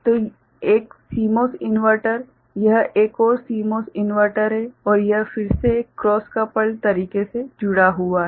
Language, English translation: Hindi, So, one CMOS inverter this is another CMOS inverter and this is again connected in a cross coupled manner